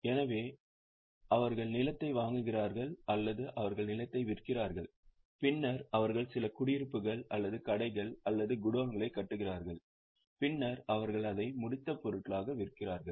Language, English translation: Tamil, So, they buy land, either they sell land or they buy land, then they construct some flats or shops or go downs, then they sell it as finished products